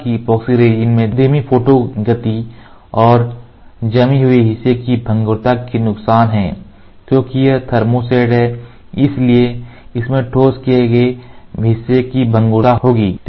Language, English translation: Hindi, However, the epoxy resins have disadvantages of slow photo speeds and brittleness of the cured part because it is thermoset so it will have brittleness of the cured part